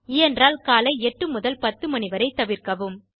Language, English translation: Tamil, Avoid 8 to 10AM if you can